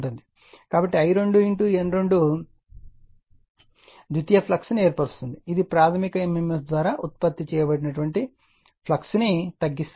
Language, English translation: Telugu, So, your I 2 N 2 sets of a secondary flux that tends to reduce the flux produced by the primary mmf